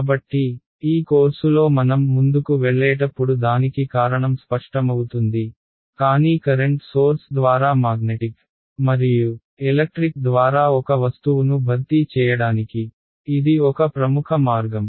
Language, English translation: Telugu, So, the reason for this will become sort of clear as we go along in this course, but this is a popular way of replacing an object by current sources magnetic and electric ok